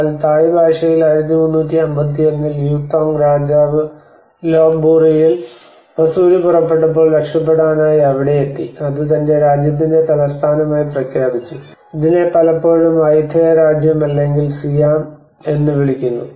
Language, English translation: Malayalam, But in Thai it has been founded in 1351 by King U Thong who went there to escape a smallpox outbreak in Lop Buri and proclaimed it the capital of his kingdom, and this is often referred as Ayutthaya kingdom or Siam